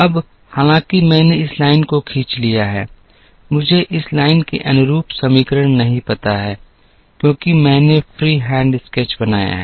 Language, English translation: Hindi, Now right now though, I have drawn this line, I do not know the equation corresponding to this line, because I have made a free hand sketch